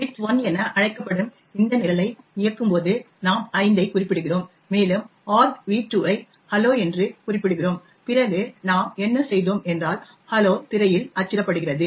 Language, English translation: Tamil, When we run this program which is known as width1, we specify 5 and we specify argv2 as hello then what we did is that hello gets printed on the screen